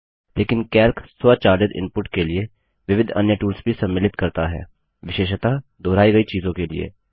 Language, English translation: Hindi, But Calc also includes several other tools for automating input, especially of repetitive material